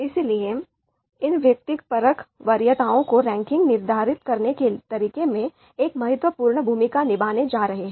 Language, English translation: Hindi, So therefore, these subjective preferences are going to play an important role in a way how the ranking is determined